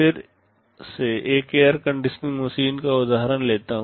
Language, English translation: Hindi, Let me take the example of an air conditioning machine again